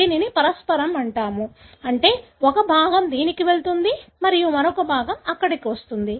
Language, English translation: Telugu, This is called as reciprocal, meaning a part goes to this and other part comes here